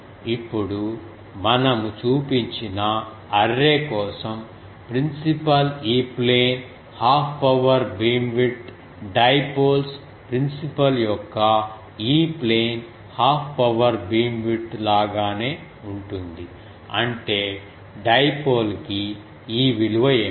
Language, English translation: Telugu, Now for the array we have shown approximately we can say that principal E plane half power beamwidth is same as the dipoles principal’s E plane half power beamwidth so; that means, what is this value for dipole